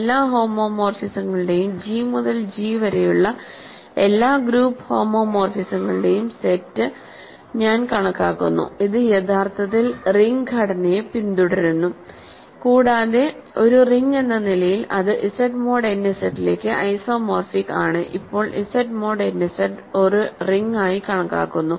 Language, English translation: Malayalam, I consider the set of all homomorphisms, all group homomorphisms from G to G, that actually inherits the ring structure and as a ring it is isomorphic to Z mod n Z; now Z mod n Z is being considered as a ring ok